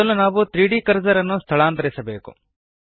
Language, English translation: Kannada, First we need to move the 3D cursor to a new location